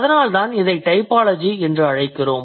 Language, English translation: Tamil, So, that is how or that is why we call it typology